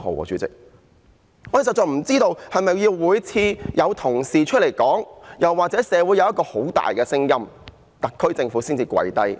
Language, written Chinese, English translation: Cantonese, 我們實在不知道，是否每次都要有同事提出議案或社會有很大的聲音，特區政府才會"跪低"。, We really wonder if the SAR Government will give in to cater their needs only when Honourable colleagues have put forth motions or the community has expressed strong opinions